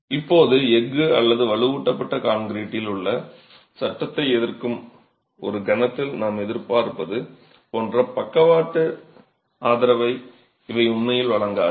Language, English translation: Tamil, Now, these do not really provide any lateral support like we would expect in a moment resisting frame in steel or reinforced concrete